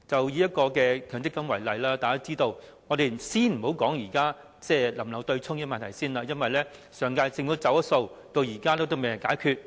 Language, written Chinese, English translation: Cantonese, 以強積金制度為例，我們先不談是否保留對沖安排，因為上屆政府"走數"，至今仍未解決。, Take the MPF System as an example . Let us not talk about whether or not the offsetting arrangement will be maintained as the last - term Government was in default of its undertaking and the problem remains unresolved so far